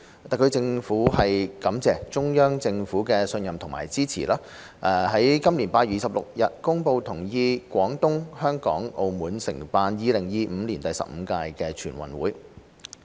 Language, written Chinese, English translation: Cantonese, 特區政府感謝中央政府的信任和支持，於今年8月26日公布同意廣東、香港、澳門承辦2025年第十五屆全運會。, The Hong Kong Special Administrative Region SAR Government is grateful for the trust and support of the Central Government in announcing on 26 August this year its agreement for Guangdong Hong Kong and Macao to host the 15th NG in 2025